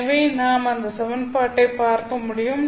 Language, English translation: Tamil, So I can rewrite this equation